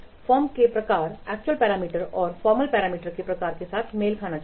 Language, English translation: Hindi, The types of the formal parameters should match with the type of the formal parameters